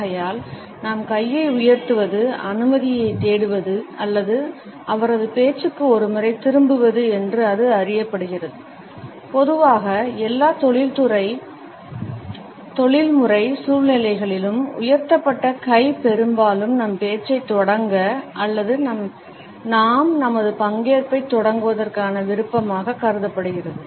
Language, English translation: Tamil, Therefore, raising our hand has come to be known as seeking permission or getting once turned to his speak and normally we find that in almost all professional situations, a raised hand is often considered to be a desire to begin our speech or begin our participation